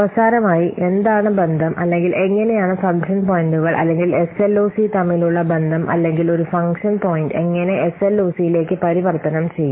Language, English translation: Malayalam, So, finally, let's see what the relationship or how, what is the relationship between function points or SLOC or how, a given a function point, how it can be conversed to SLOC